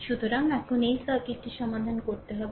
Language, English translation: Bengali, So, now, we have to we have to solve this circuit